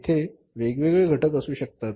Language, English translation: Marathi, There can be different factors